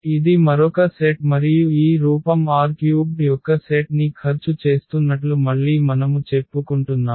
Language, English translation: Telugu, This is another set and then again we are claiming that this form is spending set of this R 3